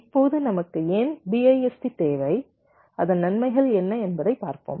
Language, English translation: Tamil, why do we need bist and what are the advantages